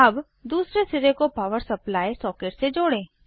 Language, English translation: Hindi, Now, connect the other end to a power supply socket